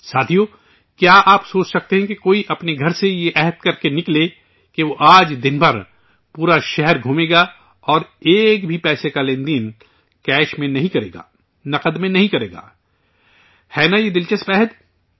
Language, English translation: Urdu, Friends, can you imagine that someone could come out of one's house with a resolve that one would roam the whole city for the whole day without doing any money transaction in cash isn't this an interesting resolve